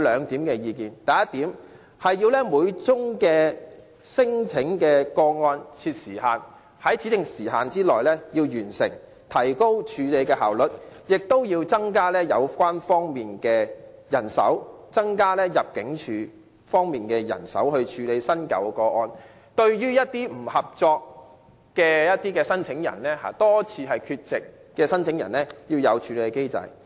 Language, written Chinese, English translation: Cantonese, 第一點，要為每宗聲請個案的審核設立時限，在指定時間內完成，以提高處理個案效率，同時增加有關方面的人手，例如增加入境處人手處理新舊個案，並設立機制處理一些不合作的聲請人，如多次缺席的聲請人。, First set a time limit for the screening of each non - refoulement claim which should be completed within a specified time limit so as to enhance efficiency in handling cases and to increase the manpower for handling relevant work . Meanwhile put in place a mechanism to deal with uncooperative claimants such as those who repeatedly did not turn up